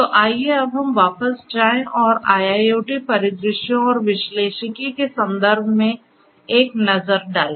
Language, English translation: Hindi, So, let us now go back and have a look at what we have in terms of analytics with respect to IIoT scenarios